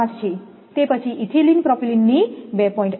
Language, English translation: Gujarati, 5, then ethylene propylene 2